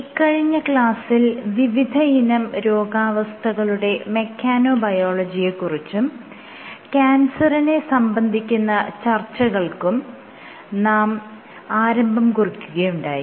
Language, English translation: Malayalam, So, in the last class, I had started discussing mechanobiology of diseases and under this started discussing about cancer